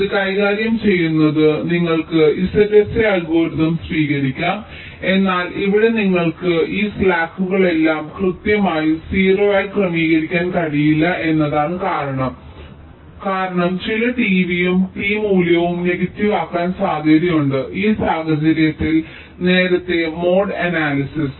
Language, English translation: Malayalam, but that the thing is that here you may not be able to set all these slacks to exactly zero because that might four some t, v and t value to become negative in that case in early mode analysis